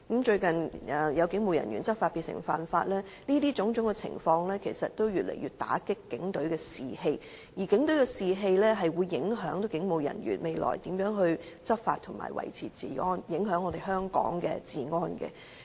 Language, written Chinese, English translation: Cantonese, 最近，有警務人員執法變成犯法，種種情況其實越來越打擊警隊士氣，而警隊士氣會影響警務人員未來如何執法及維持治安，影響香港的治安。, Recently a police officer has become a lawbreaker in the course of law enforcement . All these have eaten into the morale of the police force which will in turn affect the law enforcement of police officers and their maintaining of law and order threatening the security of Hong Kong